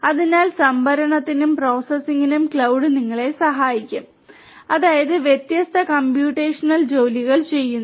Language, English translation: Malayalam, So, cloud will help you for storage and for processing; that means, running different computational jobs